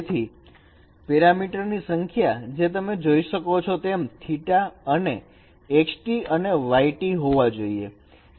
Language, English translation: Gujarati, So the number of parameters as you can see, it is theta and tx and ty